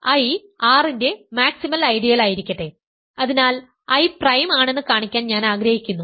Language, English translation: Malayalam, So, let I be a maximal ideal of R; so, let I be a maximal ideal of R so, I want to show that I is prime